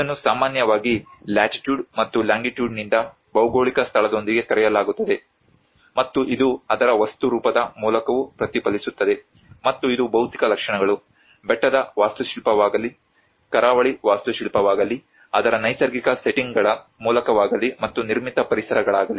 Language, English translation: Kannada, Which is normally referred with a geographical location by the Latitude and longitude, and it also reflects through its material form and which is a physical features, whether is a hill architecture, whether it is the coastal architecture, whether it is through its natural settings and the built environments